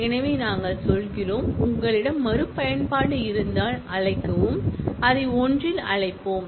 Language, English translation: Tamil, So, we are saying that, if you had the reachability then call, let us call it in one